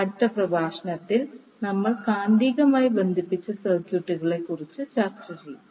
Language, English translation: Malayalam, So in the next lecture we will discuss about the magnetically coupled circuits